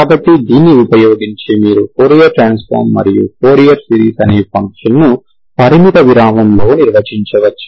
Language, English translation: Telugu, So using this you can actually develop what is the fourier transform and fourier series of a, of a function defined on a finite interval